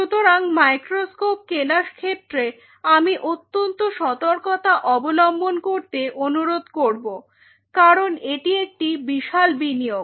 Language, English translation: Bengali, So, I will recommend in terms of the microscope you be very careful because this is a big investment